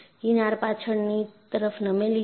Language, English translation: Gujarati, Fringes are tilted backwards